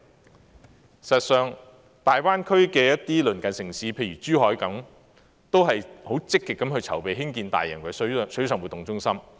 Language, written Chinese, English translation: Cantonese, 事實上，大灣區的一些鄰近城市，譬如珠海，也十分積極籌備興建大型水上活動中心。, In fact some neighbouring cities in the Guangdong - Hong Kong - Macao Greater Bay Area for instance Zhuhai are also very active in preparing for the development of mega water sports centres